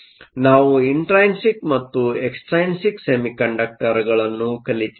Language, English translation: Kannada, So, we have looked at intrinsic and extrinsic semiconductors